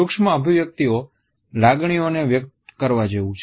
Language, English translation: Gujarati, Micro expressions are like leakages of emotions